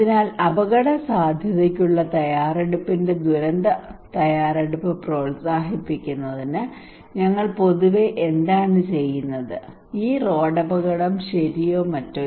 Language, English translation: Malayalam, So what we do generally in order to promote disaster preparedness of risk preparedness let us say this road accident okay or something